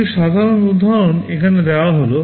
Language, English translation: Bengali, Some typical examples are given here